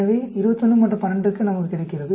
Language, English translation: Tamil, So, 21 and 12 we get